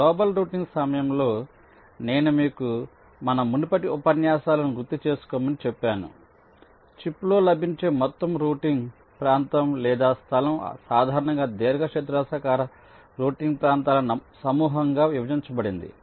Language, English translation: Telugu, during global routing, as i said you recall our earlier lectures the entire routing region, or space that is available on the chip, that is typically partitioned into a set of rectangular routing regions